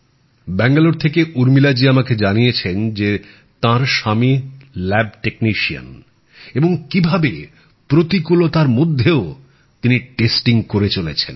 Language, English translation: Bengali, I have been told by Urmila ji from Bengaluru that her husband is a lab technician, and how he has been continuously performing task of testing in the midst of so many challenges